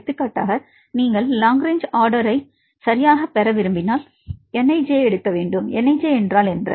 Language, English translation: Tamil, For example, if you want to get the long range order right what is nij